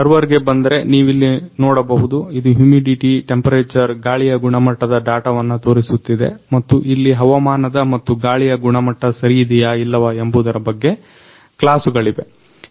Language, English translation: Kannada, Now coming to the server, you can see here it is showing the data humidity, temperature, air quality and there is classes of the weather and air quality whether it is good or bad